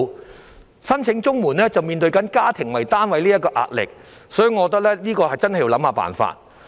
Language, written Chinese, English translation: Cantonese, 如果他申請綜援，便要面對以家庭為單位這項規定的壓力，所以我認為真的要想想辦法。, If he was to apply for CSSA he would have to face the pressure of the requirement that applications shall be made on a household basis . Therefore I think that we really have to come up with some solutions